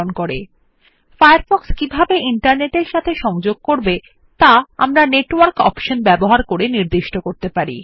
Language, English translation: Bengali, We can also configure the way Firefox connects to the Internet using the Network option